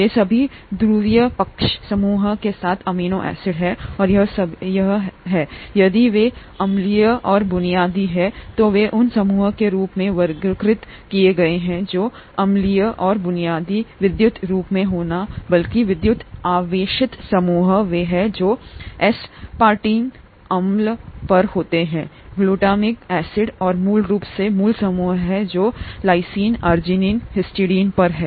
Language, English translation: Hindi, These are all amino acids with the polar side group and this has also been categorised as the side groups that are acidic and basic, if they are acidic and basic they need to be electrically rather the electrically charged groups are the ones that are on aspartic acid and glutamic acid and the basically basic groups are the ones that are on lysine, arginine and histidine